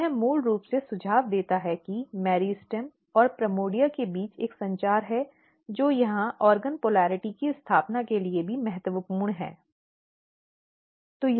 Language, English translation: Hindi, And this suggest basically that there is a communication between meristem and primordia that is also important for establishing organ polarity here